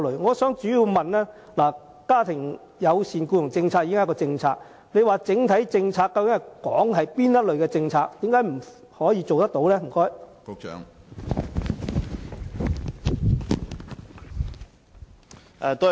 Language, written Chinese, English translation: Cantonese, 我的補充質詢是，家庭友善僱傭政策已是既定政策，局長所說的整體政策究竟是指哪些政策，為何不能做到？, My supplementary question is As family - friendly employment policies are established policies what policies the Secretary was actually referring to when he said that overall policy considerations were involved? . Why this cannot be done?